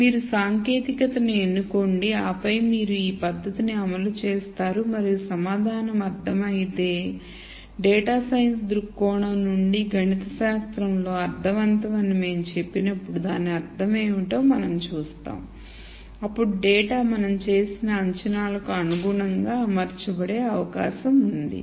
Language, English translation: Telugu, So, you choose the technique and then you deploy this technique and if the answer makes sense and we will see what it means when we say make sense mathematically from a data science viewpoint then the data is likely to be organized in conformity with the assumptions that you have made